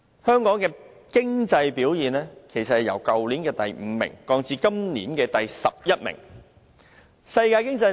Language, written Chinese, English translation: Cantonese, 香港的經濟表現其實由去年排名第五降至今年的第十一名。, As a matter of fact the ranking of the Hong Kongs economic performance has fallen from the fifth place last year to the 11 this year